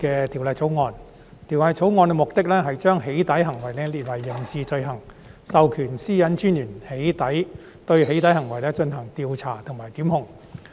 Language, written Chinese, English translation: Cantonese, 《條例草案》的目的是將"起底"行為訂為刑事罪行，並授權個人資料私隱專員對"起底"行為進行調查和檢控。, The purpose of the Bill is to criminalize doxxing acts and empower the Privacy Commissioner for Personal Data to carry out criminal investigations and institute prosecution in relation to doxxing acts